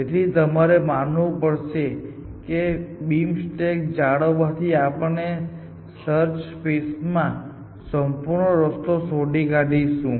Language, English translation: Gujarati, So, you must convince yourself that maintaining this beam stack allows us to search completely in the search space